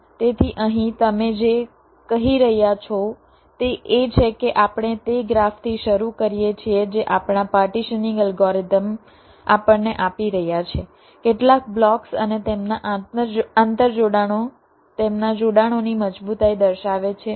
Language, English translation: Gujarati, so so here, what your saying is that we start with that graph which our partitioning algorithms is giving us some blocks and their interconnections, indicating their strength of connections